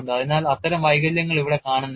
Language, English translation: Malayalam, So, that kind of defect is not seen here